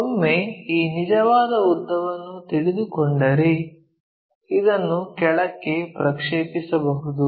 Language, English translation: Kannada, Once, this true length is known we project this all the way down